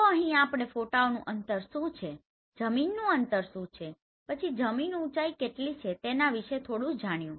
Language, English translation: Gujarati, So here we have few known like what is the photo distance, what is the ground distance then ground elevation